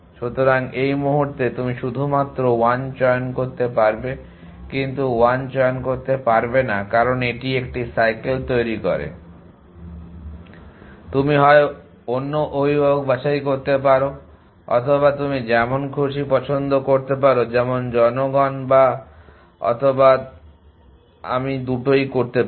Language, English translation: Bengali, So, at this point you only to choose 1, but you are not to allow choose 1, because it is form a cycle you can either choose other parent or you can make an random choice so people if I both of something